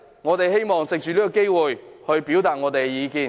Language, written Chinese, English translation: Cantonese, 我們希望藉着今天這個機會，表達我們的意見。, We hope that through this opportunity today we can voice our views